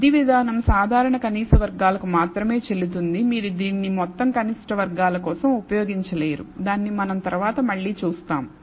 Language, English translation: Telugu, The augmentation approach is valid only for ordinary least squares you cannot use it for total least squares which we will see again later